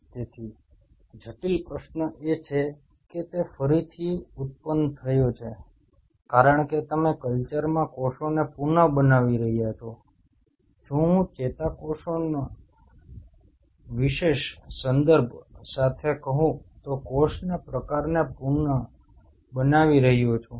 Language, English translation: Gujarati, So, the critical question is that has the re generated because you are regenerating the cells in the culture, regenerated cell type with if I say with special reference to neurons